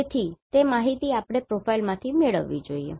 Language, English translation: Gujarati, So, that information we should get from the profile